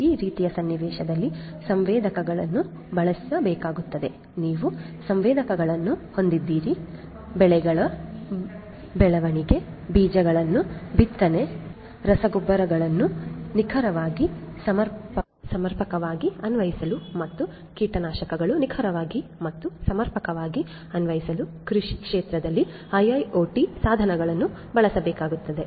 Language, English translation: Kannada, So, in this kind of scenario sensors will have to be used you have sensors IIoT devices will have to be used in the agricultural field for monitoring the growth of the crops, for monitoring the sowing of the seeds, for applying fertilizers you know precisely adequately and so on and also to precisely and adequately apply the pesticides